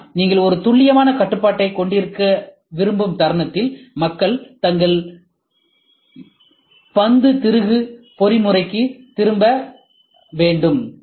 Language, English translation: Tamil, But, moment you want to have a precise control, it people have to go back to their ball screw mechanism